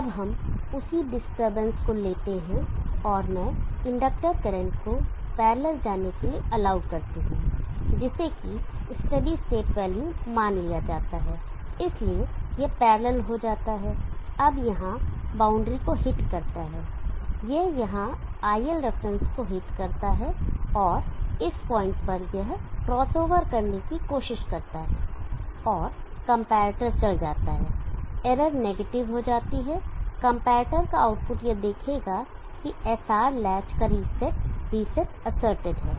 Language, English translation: Hindi, Now let us take the same disturbance and let me allow the inductor current to go parallel to what is suppose to be the steady state value so it goes parallel now hits the boundary here it hits the IL reference here and at this point it tries to across over and the comparator goes the error goes negative the comparator will output will see to it that the reset of the SR latch resets is asserted